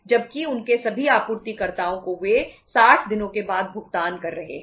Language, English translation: Hindi, Whereas to their all suppliers they are paying after 60 days